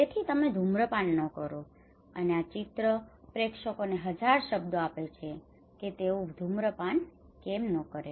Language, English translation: Gujarati, So do not smoke and this picture gives thousand words to the audience that why they should not smoke